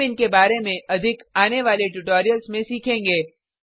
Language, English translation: Hindi, We will learn more about these in the coming tutorials